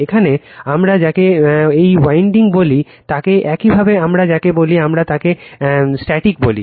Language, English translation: Bengali, Here what we call this winding are called your what we call this we call that static